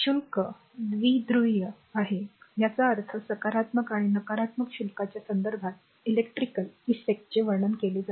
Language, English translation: Marathi, So, charge is bipolar so, it means electrical effects are describe in terms of positive and your negative charges the first thing